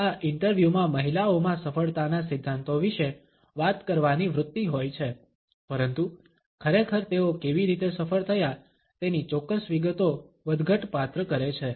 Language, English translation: Gujarati, In this interviews women have a tendency to talk about principles of success, but really do variable the exact details of how they succeeded